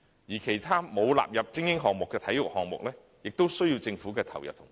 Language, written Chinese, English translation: Cantonese, 而其他沒有納入為精英項目的體育項目，亦需要政府的投入和支持。, Other non - elite sports are also in need of the Governments commitment and support